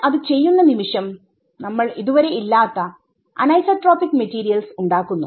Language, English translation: Malayalam, The moment we do it we have created anisotropic materials where none existed right